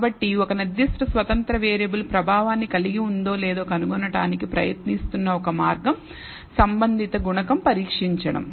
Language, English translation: Telugu, So, one way of trying to find whether a particular independent variable has an effect is to test the corresponding coefficient